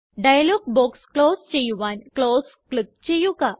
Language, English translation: Malayalam, Click on the Close button to close the dialog box